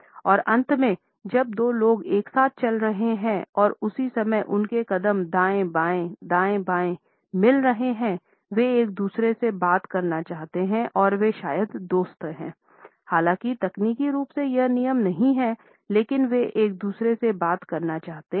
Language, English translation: Hindi, And finally, when two people are walking together and their steps are matched going right left, right left at the same time; they want to talk to each other and they are probably friends although that is not technically a rule, but they want to talk to each other